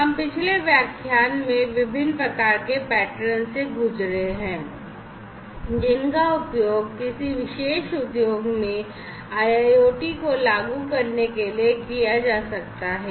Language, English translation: Hindi, So, we have one through in the previous literature a previous lecture the different types of patterns that could be used, in order to implement IIoT in a particular industry